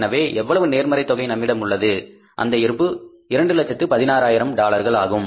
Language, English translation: Tamil, So we are left with the positive balance of how much this balance is the 260,000s